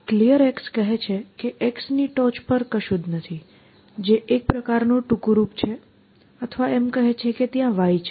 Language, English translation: Gujarati, Clear x says that there is nothing on top of x essentially, which is a kind of a short form or saying that another case there exists y